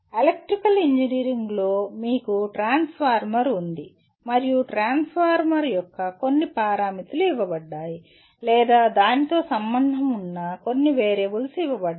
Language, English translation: Telugu, In electrical engineering you have a transformer and some parameters of the transformer are given or some variables associated with are given